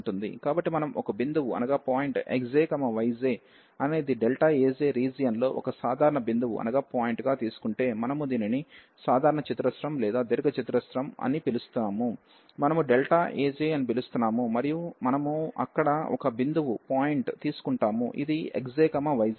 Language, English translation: Telugu, So, if we take a point x j, y j are some point in the area delta A j a general point, we are calling this a general square or the rectangle, we are calling as delta A j and we take a point there at which is denoted by this x j, y j